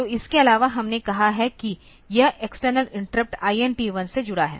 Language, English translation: Hindi, So, apart from that we have said that this connected to the external interrupt INT1 ok